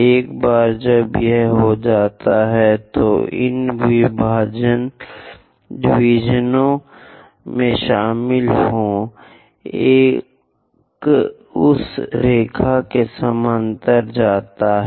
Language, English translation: Hindi, Once it is done, join these divisions, one go parallel to that line